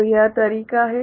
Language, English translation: Hindi, So, this is the way